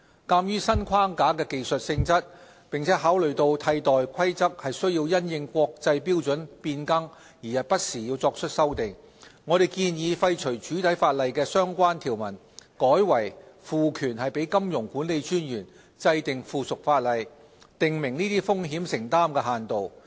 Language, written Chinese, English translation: Cantonese, 鑒於新框架的技術性質，並考慮到替代規則須因應國際標準變更不時作出修訂，我們建議廢除主體法例的相關條文，改為賦權金融管理專員制定附屬法例，訂明這些風險承擔限度。, In view of the technical nature of the new framework and that replacement rules need to be updated from time to time to reflect changes in international standards we propose to repeal the relevant provisions in the main legislation and instead empower MA to formulate subsidiary legislation to prescribe such limits on exposures